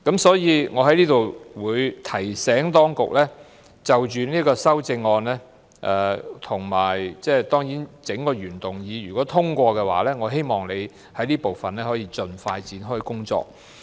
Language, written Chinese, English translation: Cantonese, 所以，我在此提醒當局，如果這項修正案及整個原議案獲得通過，我希望當局就這部分盡快展開工作。, I thus would like to remind the authorities here that if this amendment and the entire original motion are passed it is hoped that they will expeditiously commence working in this respect